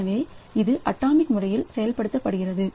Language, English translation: Tamil, So, it is executed atomically